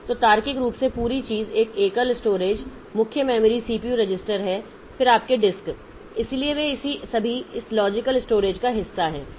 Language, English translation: Hindi, So, logically whole thing is a single storage, main memory, CPU register, then your disks, they are all part of this logical storage